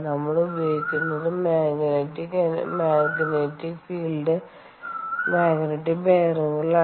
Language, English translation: Malayalam, what we use is magnetic field, ok, magnetic bearings